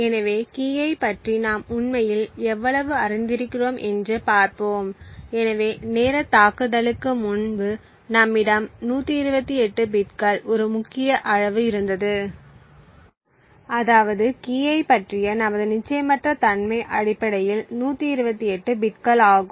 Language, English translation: Tamil, So, let us see how much we have actually know about the key, so prior to the timing attack we had a key size of 128 bits which means that there are to our uncertainty about the key is essentially 128 bits